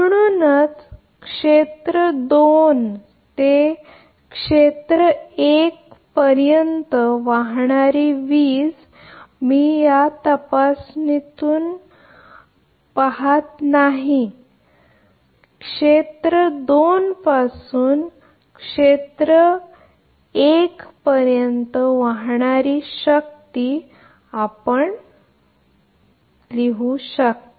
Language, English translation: Marathi, Therefore, similarly power flowing from area 2 to area 1, this is I am not doing from this inspection you can write power flowing from area 2 to area 1